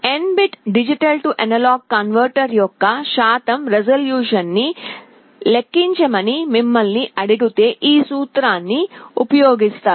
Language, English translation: Telugu, If you are asked to compute the percentage resolution of an N bit D/A converter, you will be using this formula